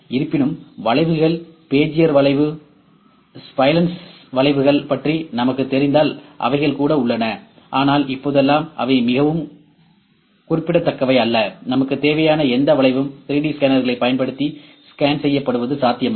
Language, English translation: Tamil, However, if we know about; if we know about the curves, Bezier curve, the spline curves, those are also there, but nowadays those are also not very significant even the the forms any curvature that we need is quite possible to be scanned using the 3D scanners